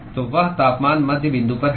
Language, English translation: Hindi, So, that is the temperature at the midpoint